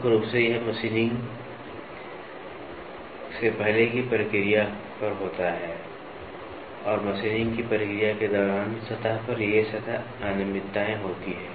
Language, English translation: Hindi, Predominantly, this happens on a process before machining and during the process of machining these surface irregularities happened on the surface